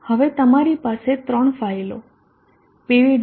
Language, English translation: Gujarati, Now you have the three files PV